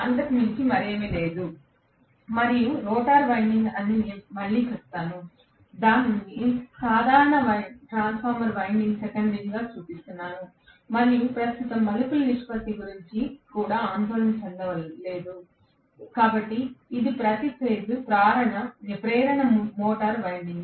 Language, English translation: Telugu, Okay, and let’s say the rotor winding again I am showing it as the simple transformer winding secondary, and not even worried about the turns ratio right now, okay, so this is per phase induction motor winding